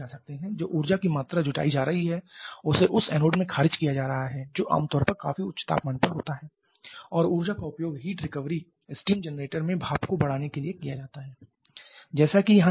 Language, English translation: Hindi, The amount of energy that is being raised that is being rejected in the anode that is in early at quite high temperature and that energy can be utilized to raise steam in a heat recovery steam generator just like the scheme shown here